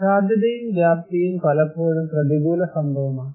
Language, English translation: Malayalam, So, probability and magnitude often adverse event